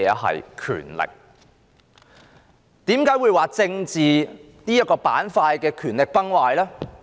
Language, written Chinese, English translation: Cantonese, 為何我說政治板塊的權力崩壞呢？, Why do I say that the power of the political bloc has collapsed?